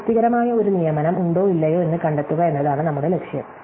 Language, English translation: Malayalam, So, our goal is to find out whether there is a satisfying assignment or not